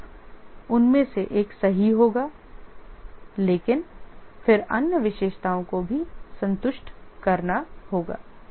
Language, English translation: Hindi, Of course, one of the will be correctness, but then there will be other attributes that need to be satisfied